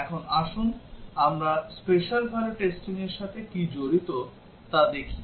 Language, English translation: Bengali, Now let us look at what is involved in special value testing